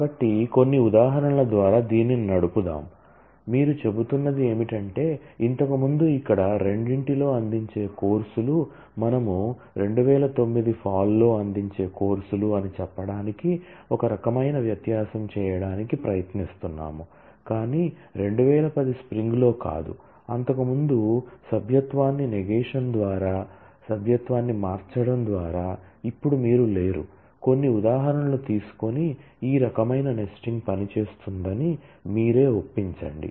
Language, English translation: Telugu, So, let us run through some examples this is, what you are saying is, earlier one was the courses offered in both here we are trying to do kind of the difference saying the courses offered in fall 2009, but not in spring 2010 certainly we easily get that by changing the membership to negation of the membership earlier it was in now you do not in you will simply get that it is up to you to take some examples and convince yourself that this kind of a nesting will work